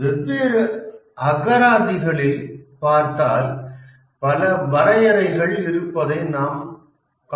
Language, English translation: Tamil, If we look up in the dictionary, we'll find there are many definitions in different dictionaries